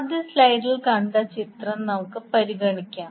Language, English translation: Malayalam, Let us consider the figure which we saw in the first slide